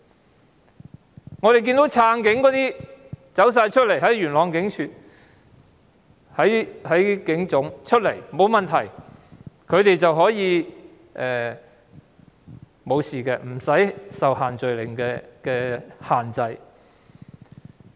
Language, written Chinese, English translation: Cantonese, 相反，我們看到撐警人士在元朗警署和警察總部聚集，卻安然無事，他們不用受到限聚令限制。, On the contrary we have also seen that police supporters who gathered at Yuen Long Police Station and the Police Headquarters could get away and did not have to observe the social gathering restrictions